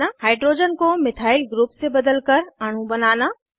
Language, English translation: Hindi, * Build molecules by substituting hydrogen with a Methyl group